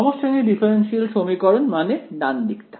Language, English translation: Bengali, Homogeneous differential equation means the right hand side is